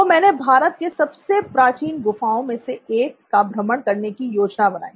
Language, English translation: Hindi, So, I planned a trip to one of India’s ancient caves